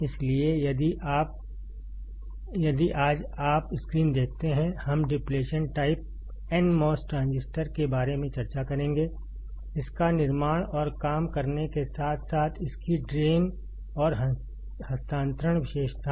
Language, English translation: Hindi, So, if you see the screen; today, we will be discussing about depletion type nmos transistor; its construction and working as well as its drain and transfer characteristics